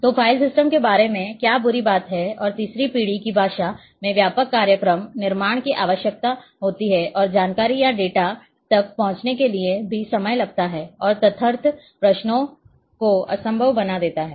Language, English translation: Hindi, So, the what are the bad things about the file systems and that requires extensive programming in third generation language and a in order to access the information or data it is also time consuming and makes ad hoc queries impossible